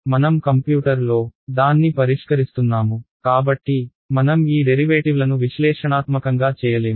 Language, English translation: Telugu, No well because I am solving it on the computer, I cannot you calculate these derivatives analytically